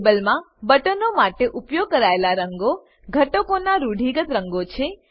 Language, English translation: Gujarati, Colors used for buttons in the table are conventional colors of the elements